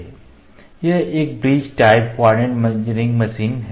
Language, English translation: Hindi, This is a bridge type coordinate measuring machine